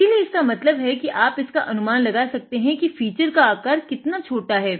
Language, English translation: Hindi, So that means, how small the feature is you can imagine